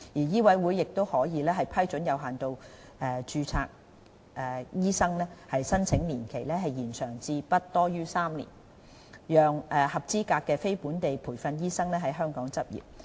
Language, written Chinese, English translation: Cantonese, 醫委會亦可批准有限度註冊醫生的申請年期延長至不多於3年，讓合資格的非本地培訓醫生在香港執業。, MCHK will also be able to approve applications for limited registration for an extended period of not exceeding three years enabling qualified non - locally trained doctors to practise in Hong Kong